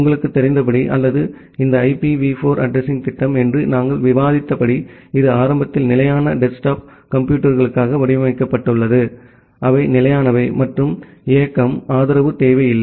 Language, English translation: Tamil, And as you know or as we have discussed that this IPv4 addressing scheme, it was initially designed for the standard desktop computers which are fixed and which does not require the mobility support